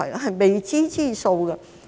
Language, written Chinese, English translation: Cantonese, 是未知之數。, No one can tell